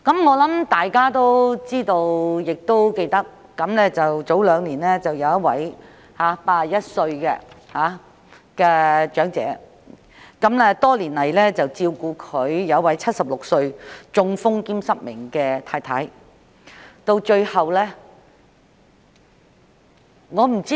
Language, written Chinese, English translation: Cantonese, 我相信大家知道、也仍然記得兩年前的一宗個案，當中一位81歲長者多年來照顧其76歲已中風的失明妻子。, I believe all of us are aware of and still remember a case that happened two years ago involving an 81 - year - old elderly person taking care of his 76 - year - old blind wife who had a stroke for a number of years